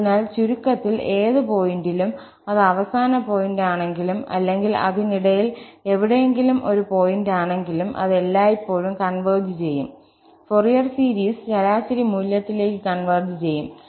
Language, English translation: Malayalam, So, in a nutshell, at any point, whether it is end point or it is a point somewhere in between, it will always converge, the Fourier series will converge to the average value